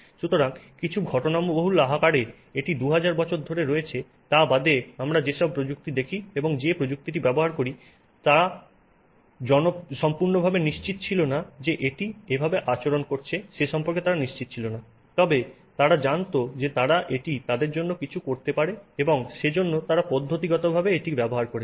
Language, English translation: Bengali, So, in some incidental form it has been there for 2,000 years except that from what we see, the people who had that technology and used that technology were not completely sure as to why it was behaving the way it was behaving, but they knew that they could get it to do something for them and therefore they systematically utilized it